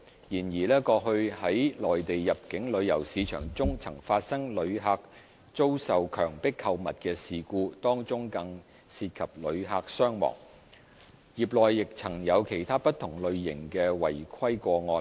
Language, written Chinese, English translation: Cantonese, 然而，過去在內地入境旅遊市場中曾發生旅客遭受強迫購物的事故，當中更曾涉及旅客傷亡，業內亦曾有其他不同類型的違規個案。, However in the Mainland inbound tourism market there have been incidents of visitors being coerced into shopping some of which have even involved the injuries and deaths of visitors and there have been other types of non - compliance cases in the trade